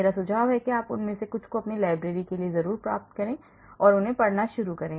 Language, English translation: Hindi, I suggest you get some of them for your library and start reading them